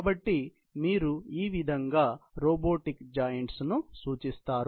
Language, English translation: Telugu, So, this is how you represent most of this robot joints